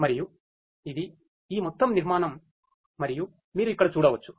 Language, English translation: Telugu, And this is this overall architecture and as you can see over here